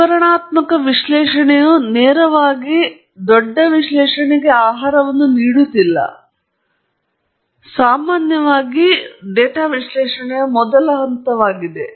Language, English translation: Kannada, Whereas, descriptive analysis is not necessarily going to feed directly into a larger analysis; it’s typically the first step in data analysis